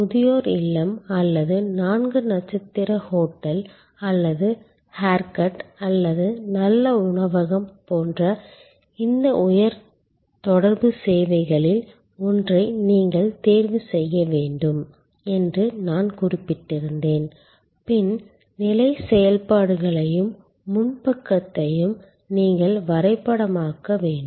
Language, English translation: Tamil, Remember, I had mentioned that you have to choose one of these high contact services, like a nursing home or like a four star hotel or like a haircut or a good restaurant and you are suppose to map the back stage activities as well as the front stage activities of this high contact service